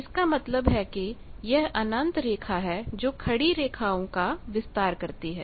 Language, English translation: Hindi, That means, this is an infinite line extend vertical lines